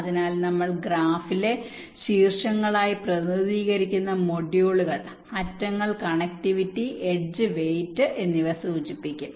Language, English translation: Malayalam, so modules: we represent as vertices in the graph, while the edges will indicate connectivity, the edge weights